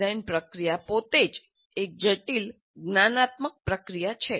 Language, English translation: Gujarati, The design process itself is a complex cognitive process